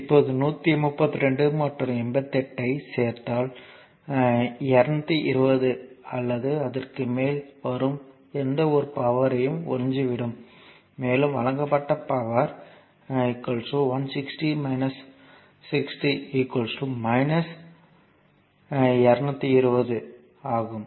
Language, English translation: Tamil, Now, if you add 132 and your 88 this is power absorbed whatever it will come 220 or so, right and if you see the power supplied it is 160 minus and minus 60 so, minus 220